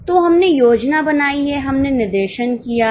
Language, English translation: Hindi, So, we have done planning, we have done directing